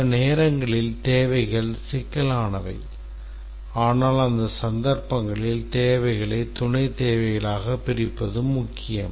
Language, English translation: Tamil, Sometimes the requirements are complex but in those cases it's important to split the requirement into sub requirements